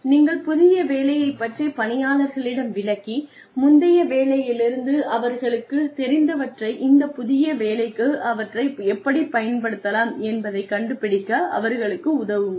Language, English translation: Tamil, You, explain the new job and help the worker figure out, how one can take the learnings, from the previous job, and apply them, to the new job